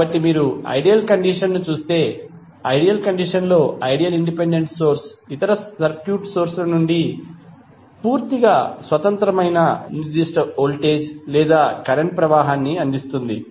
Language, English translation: Telugu, So, if you see the ideal condition in ideal condition the ideal independent source will provide specific voltage or current that is completely independent of other circuit elements